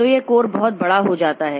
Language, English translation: Hindi, So, this core becomes very large